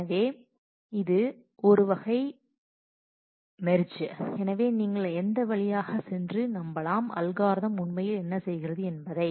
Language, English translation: Tamil, So, that is a sort that is that here is a merge so, you can go through that and convince yourself that this is what algorithm is actually doing